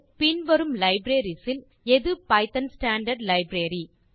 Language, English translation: Tamil, Which among these libraries is part of python standard library